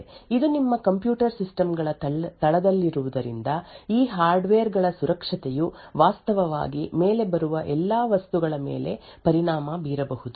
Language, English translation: Kannada, Since this is at the base of your computer systems, the security of these hardware could actually impact all the things which come above